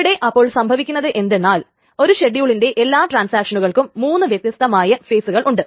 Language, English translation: Malayalam, So, what happens in this is that the transaction or all the transactions in its schedule has three distinct phases